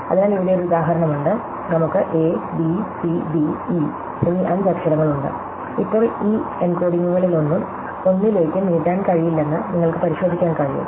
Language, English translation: Malayalam, So, here is an example, so we have five letters a, b, c, d, e and now, you can check that none of these encodings can be extended to anything